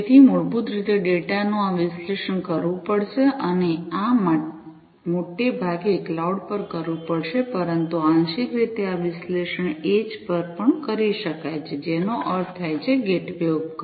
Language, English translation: Gujarati, So, basically this analysis of the data will have to be performed and this will have to be done mostly at the cloud, but partly this analytics could also be done at the edge; that means the gateway device